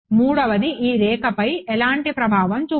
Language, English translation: Telugu, The third has no influence on this line right